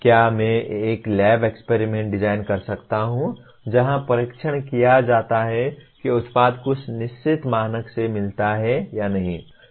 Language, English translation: Hindi, Can I design a lab experiment where the testing is done to whether the product meets the some certain standard